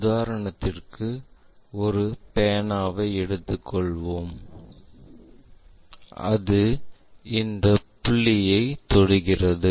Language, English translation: Tamil, For example, let us take a pen and that is going to touch this point